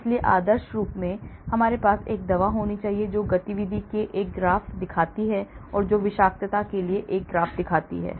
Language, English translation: Hindi, So, ideally I should have a drug which shows a graph for the activity and which shows a graph for the toxicity